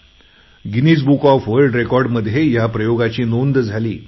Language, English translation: Marathi, This deed found a mention in Guinness Book of World Records